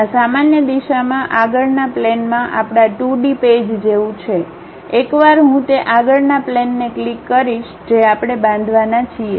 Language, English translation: Gujarati, This is more like our 2 dimensional page on frontal plane in the normal direction, once I click that frontal plane we are going to construct